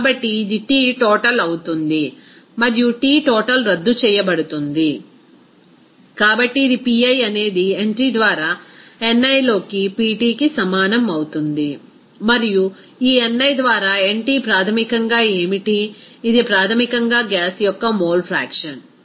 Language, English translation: Telugu, So, it will be T total and T total will be canceled out, so simply it will be Pi will be equal to Pt into ni by nt, and this ni by nt basically what, this is basically a mole fraction of the gas okay